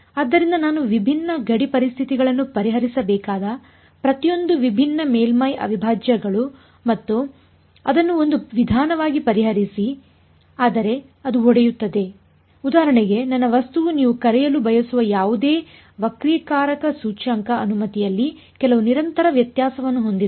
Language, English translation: Kannada, So, many different surface integrals each of those I will have to solve put boundary conditions and solve it that is one approach, but that will break down if for example, my my material has some continuous variation in refractive in refractive index permittivity whatever you want to call it right